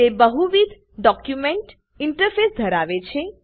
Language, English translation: Gujarati, It has a multiple document interface